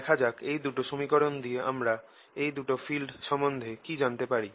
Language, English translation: Bengali, let us see what we can learn about these fields from these two equations